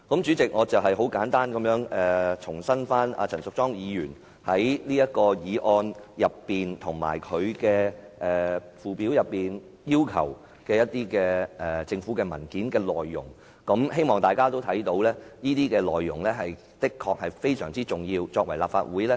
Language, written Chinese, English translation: Cantonese, 主席，我簡單講述了陳淑莊議員在這項議案及其附表下要求政府提供的文件所應載有的內容，希望大家都看到這些內容的確非常重要。, President I have given a brief account of the contents of the documents listed in the Schedule to the motion that Ms Tanya CHAN requested from the Government . I hope that we will see that the importance of such information